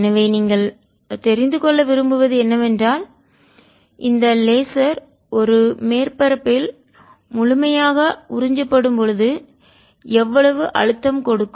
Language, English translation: Tamil, therefore, what you want to know is how much pressure does this laser apply on a surface where it is completely absorbed